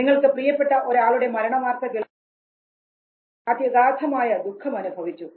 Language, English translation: Malayalam, You heard the news of death of beloved one and you were extremely sad